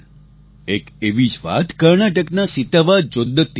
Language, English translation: Gujarati, A similar story is that of Sitavaa Jodatti from Karnataka